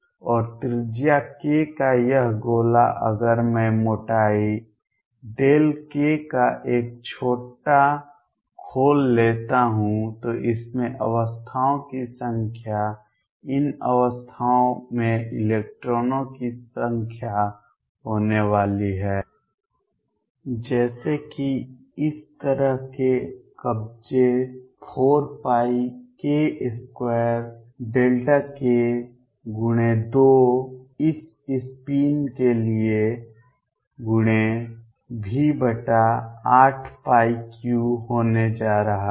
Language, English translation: Hindi, And this sphere of radius k if I take a small shell of thickness delta k, the number of states in this is going to be number of electrons in these state such are going to be such are occupied is going to be 4 pi k square delta k times 2 for this spin times v over 8 pi cubed